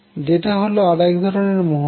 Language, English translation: Bengali, So, which is another greatness